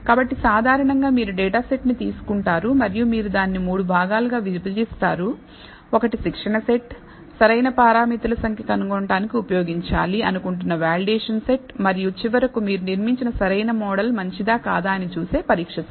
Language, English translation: Telugu, So, typically you take the data set and you divide it into three parts, one the training set the validation set where you are trying to use for finding the optimal number of parameters and finally, the test set for to see whether the optimal model you have built is good enough